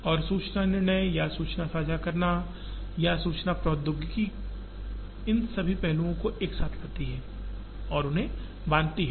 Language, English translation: Hindi, And the information decision or information sharing or information technology brings all these aspects together and binds them